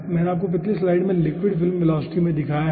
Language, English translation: Hindi, i have shown you in the previous slide liquid film velocity